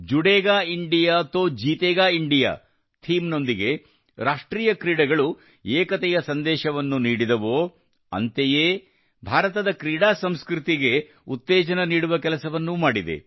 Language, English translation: Kannada, With the theme 'Judega India to Jeetega India', national game, on the one hand, have given a strong message of unity, on the other, have promoted India's sports culture